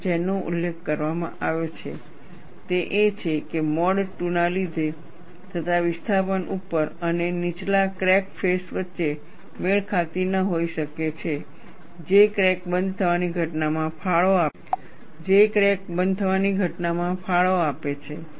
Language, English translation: Gujarati, And what is mentioned is, the displacement due to mode 2, can cause mismatch between upper and lower crack faces, contributing to crack closure phenomena